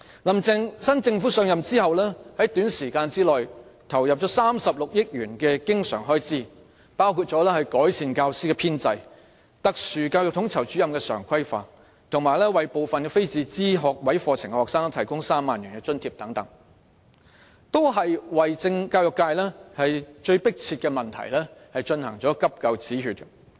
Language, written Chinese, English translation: Cantonese, "林鄭"新政府上任後，在短時間內投放了36億元的經常開支，包括改善教師編制、特殊教育統籌主任常規化，以及為部分非自資學位課程的學生提供3萬元津貼，為教育界最迫切的問題進行"急救止血"。, Shortly after the new Carrie LAM Administration took office 3.6 billion was injected as recurrent expenditure for among others improving the teacher establishment regularizing the services of Special Educational Needs Coordinators and providing a subsidy of 30,000 for each of the students pursuing some non - subsidized degree programmes as emergency relief to the most pressing problems in the education sector